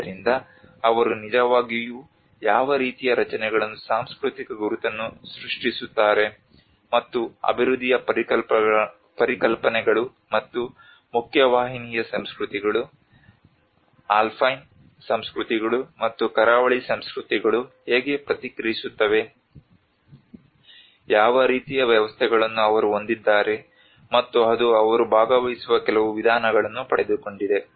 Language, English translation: Kannada, So she actually looked at how what kind of structures that create the cultural identity, and that concepts of development and she worked in this cultural environment framework of how the mainstream cultures, alpine cultures, and the coastal cultures how they respond, what kind of systems they do have, and that is what she derives some very participatory approaches